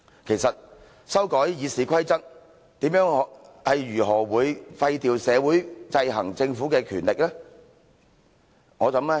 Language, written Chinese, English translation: Cantonese, 其實修改《議事規則》如何廢掉社會制衡政府的權力呢？, Actually how can the amendment of RoP deprive society of the power to exercise checks and balances on the Government?